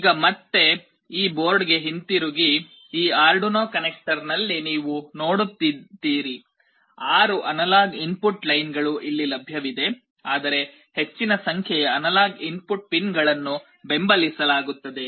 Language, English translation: Kannada, Now, coming back to this board again, you see in this Arduino connector, the six analog input lines are available here, but more number of analog input pins are supported